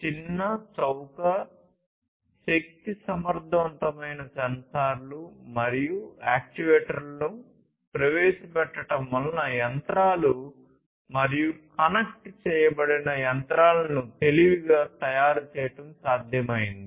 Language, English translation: Telugu, And this for smartness the introduction of small, cheap, energy efficient sensors and actuators have made it possible to make machines and connected machines smarter